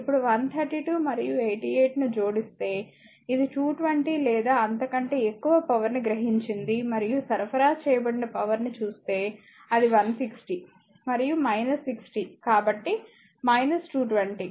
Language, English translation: Telugu, Now, if you add 132 and your 88 this is power absorbed whatever it will come 220 or so, right and if you see the power supplied it is 160 minus and minus 60 so, minus 220